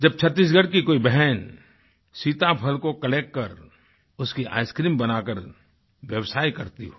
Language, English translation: Hindi, Asister from Chhattisgarh collects custard apple and does business by making its ice cream